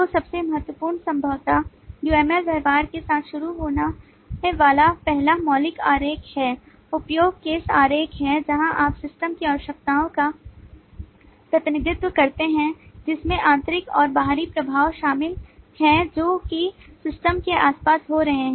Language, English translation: Hindi, so the most important possibly to start with, and the first fundamental diagram that uml behavioral has to start, is use case diagram, where you represent the requirements of a system, including the internal and external influences, what is happening around the system there many gross way